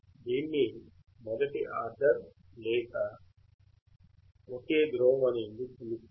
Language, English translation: Telugu, Why is it called first order or a single pole